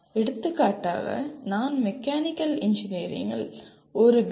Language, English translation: Tamil, For example if I am designing a Mechanical Engineering B